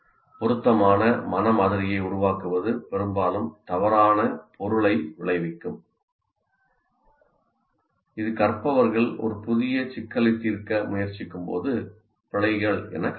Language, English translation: Tamil, And building an inappropriate mental model often results in misconceptions that show up as errors when learners attempt to solve a new problem